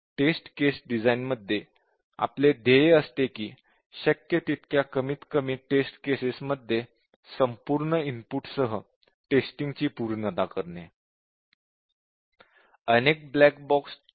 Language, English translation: Marathi, So, our goal in test case design is to achieve the thoroughness of exhaustive input testing, with as little number of test cases as possible